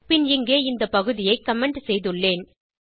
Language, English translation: Tamil, Then I have commented this portion here